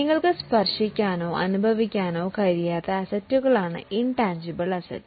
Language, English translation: Malayalam, Intangible assets are those assets which you can't touch or feel